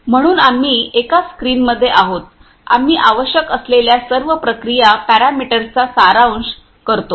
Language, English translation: Marathi, So, we are in a one screen we summarize the all whatever the required process parameters